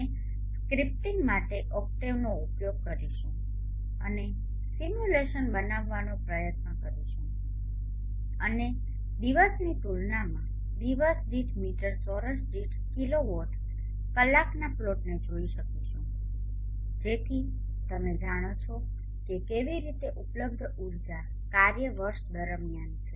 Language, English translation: Gujarati, We shall use octave for scripting and try to run the simulation and see the plot outs of the kilowatt hour per meter square per day versus the day number so that you know how the available energy function is over the year